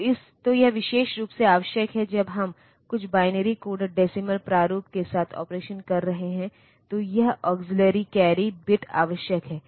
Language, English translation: Hindi, So, this is many, many a time this is necessary particularly when we are doing operation with some binary coded decimal format, then this auxiliary carry bit is necessary